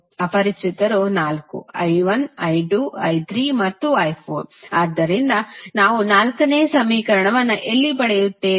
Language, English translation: Kannada, Unknowns are four i 1, i 2 then i 3 and i 4, so where we will get the fourth equation